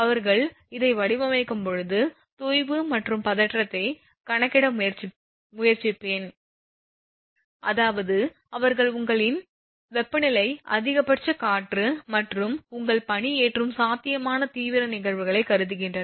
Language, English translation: Tamil, I will when they design this I means try to compute sag and tension they consider the extreme cases that is your temperature maximum wind and possible your ice loading all these things they consider